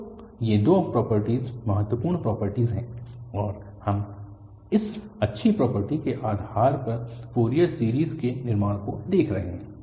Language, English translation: Hindi, So, these two properties are the important properties and we are looking for constructing the Fourier series based on this nice property